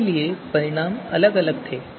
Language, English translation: Hindi, And therefore the results were different